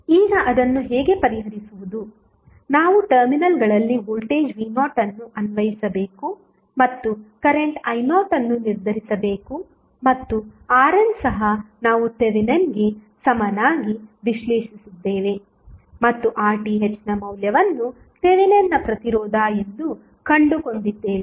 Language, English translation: Kannada, Now, how to solve it, we have to apply voltage V naught at the terminals AB and determine the current I naught and R n is also found in the same way as we analyzed the Thevenin's equivalent and found the value of RTH that is Thevenin's resistance